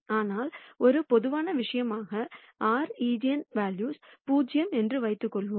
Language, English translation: Tamil, But as a general case, let us assume that r eigenvalues are 0